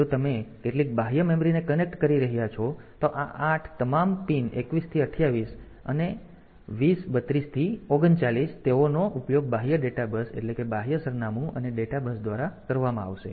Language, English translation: Gujarati, So, these all these pins 21 to 28 and 20 20 32 to 39, they will be used by the external data bus external address and data bus